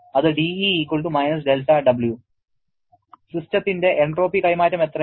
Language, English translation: Malayalam, How much is the entropy transfer of the system